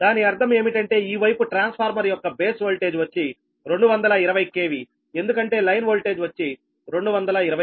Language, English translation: Telugu, that means this side base voltage for the transformer will be two twenty k v, because line voltage is two twenty k v